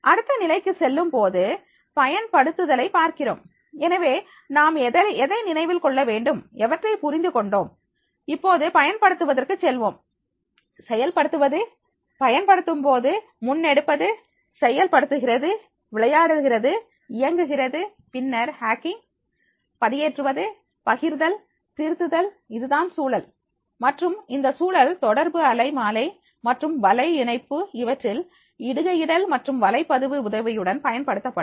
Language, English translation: Tamil, When we go to the next level, we find the applying, so whatever has remember, whatever has been understood, now we have to go for the applying, in implementing, carrying out using, executing, running, then the loading, playing, operating, then the hacking, uploading, sharing and editing, so this will be the context and this context that will be used with the help of posting and blogging in the communication spectrum and the networking